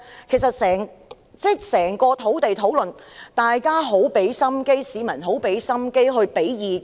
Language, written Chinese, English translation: Cantonese, 其實在整個土地大辯論之中，大家都很用心，市民亦用心提供意見。, In fact all of us have made much effort during the entire process of the grand debate on land supply whereas members of the public have also provided opinions diligently